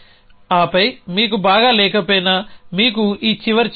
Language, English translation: Telugu, And then even if you do not have well you have this final check